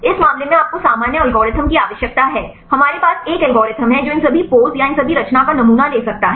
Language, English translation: Hindi, In this case you need to general algorithm we need have an algorithm which can sample all these poses or all these conformations